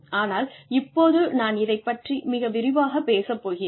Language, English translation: Tamil, But, I am going to talk about this in detail